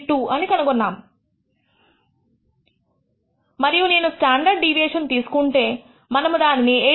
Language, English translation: Telugu, 5 5132 and if we take the standard deviation; we will find its 8